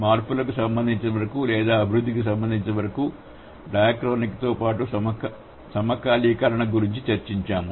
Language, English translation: Telugu, So, as far as changes are concerned or development has been concerned, we have discussed the dichrony as well as synchrony